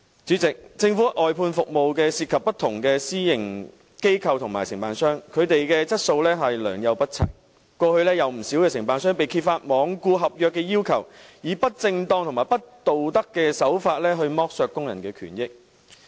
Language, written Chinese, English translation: Cantonese, 主席，政府外判服務涉及不同私營機構和承辦商，他們的質素良莠不齊，過去有不少承辦商被揭發罔顧合約要求，以不正當和不道德的手法剝削工人的權益。, President the outsourced government services involve different private organizations and contractors with varying standards of service . In the past it was revealed that many contractors had neglected the contractual requirements depriving workers of their rights and interests in improper and immoral ways . Take outsourced cleaners as an example